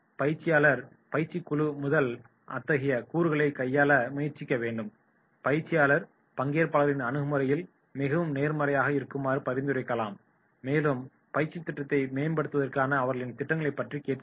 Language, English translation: Tamil, Trainer should attempt to handle such elements through the group, trainer may suggest participants to be more positive in approach and should ask about their proposals to improve the training program